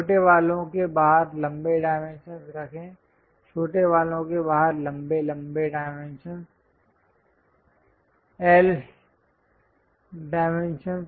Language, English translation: Hindi, Place longer dimensions outside the shorter ones; longer dimensions outside the shorter ones